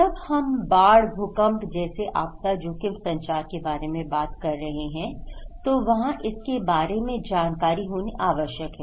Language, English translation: Hindi, When we are talking about disaster risk communications, like flood, earthquake, so there should be informations about this